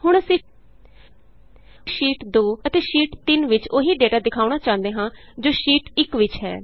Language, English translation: Punjabi, Now we want Sheet 2 as well as Sheet 3 to show the same data as in Sheet 1